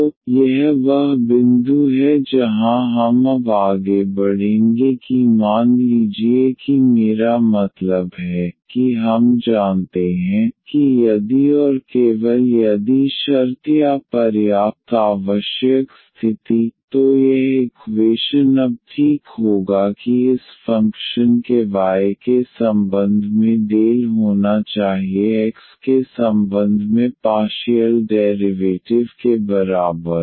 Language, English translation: Hindi, So, this is the point where we will now proceed that suppose that I mean we know that the if and only if condition or the sufficient necessary condition, this equation to be exact now would be that del of this function with respect to y must be equal to partial derivative of this with respect to x